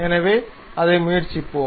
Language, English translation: Tamil, So, let us try that